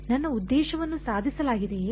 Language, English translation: Kannada, Is my objective achieved